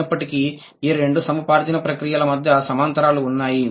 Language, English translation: Telugu, Nevertheless, there are parallel between the two acquisition processes